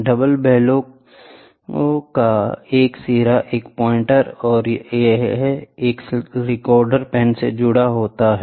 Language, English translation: Hindi, One end of the double bellow is connected to the pointer or to the pen